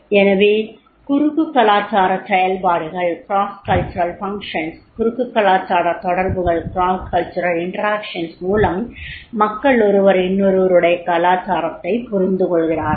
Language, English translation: Tamil, So cross cultural functions are there, cross culture interactions are there and the people understand each other's culture is there